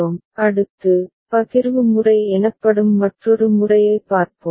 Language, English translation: Tamil, Next, we shall look at another method called Partitioning method